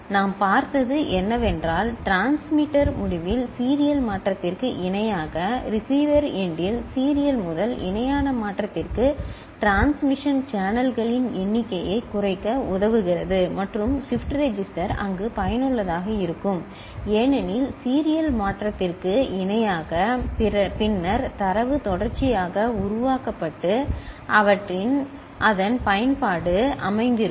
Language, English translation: Tamil, What we have seen is that parallel to serial conversion at transmitter end, serial to parallel conversion at receiver end help in reducing number of transmission channels and shift register comes useful there because after parallel to serial conversion then the data is made serially out and their lies its utility